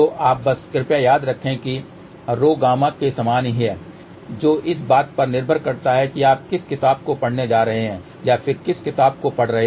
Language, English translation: Hindi, So, you just please remember rho is same as gamma depending upon which book you are going to read or which book you read